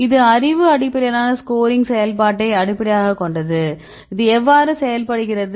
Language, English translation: Tamil, So, this is based on knowledge based scoring function how this works